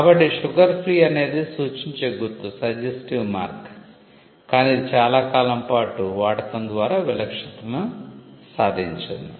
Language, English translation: Telugu, So, sugar free is a suggestive mark, but it has attained distinctiveness by usage for a long period of time